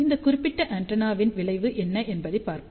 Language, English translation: Tamil, Let us see the result of this particular antenna